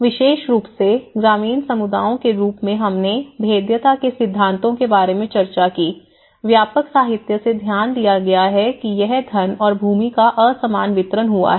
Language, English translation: Hindi, The especially the rural communities as we discussed in the theories of vulnerability, it has been noted very much from the extensive literature that it’s unequal distribution of wealth and land